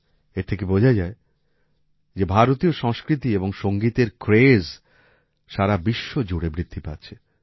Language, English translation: Bengali, This shows that the craze for Indian culture and music is increasing all over the world